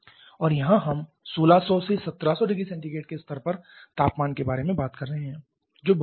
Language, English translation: Hindi, And here you are talking about temperatures in the level of 1600 1700 degree Celsius which is huge